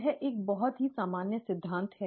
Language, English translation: Hindi, This is a very general principle